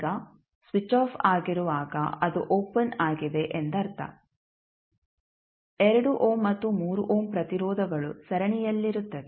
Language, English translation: Kannada, Now, when switch is off means it is opened the 2 ohm and 3 ohm resistances would be in series